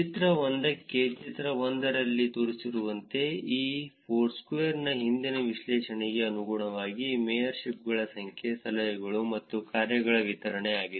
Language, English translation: Kannada, For the figure 1, as shown in the figure 1 and consistent with previous analysis of Foursquare the distribution of number of mayorships, tips and dones